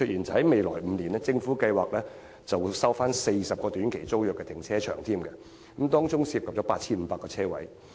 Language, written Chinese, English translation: Cantonese, 在未來5年，政府計劃收回40個短期租約停車場，當中涉及 8,500 個泊車位。, In the coming five years the Government has plans to resume 40 car parks in short - term tenancy involving 8 500 parking spaces